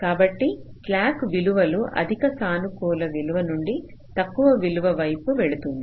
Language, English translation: Telugu, so slack values will all go towards the downward side, from a higher positive value to a lower values